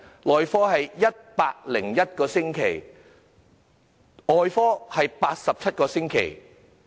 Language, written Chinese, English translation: Cantonese, 內科的輪候時間是101個星期；外科的是87個星期。, The waiting time for medicine is 101 weeks; and that for surgery is 87 weeks